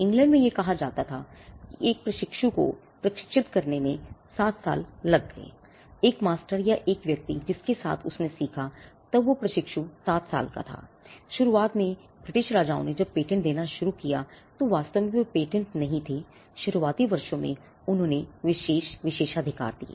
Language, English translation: Hindi, In England it is said that it took 7 years to train an apprentice; that for time of an apprentice under master or a person with whom he learnt was 7 years; initially the British kings when they started granting patents and they we did not actually grand patents in the initial years they granted exclusive privileges